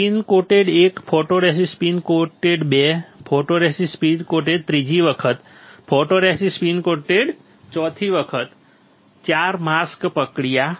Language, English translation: Gujarati, Spin coated 1, photoresist spin coated 2, photoresist spin coated third time, photoresist spin coated fourth time 4 mask process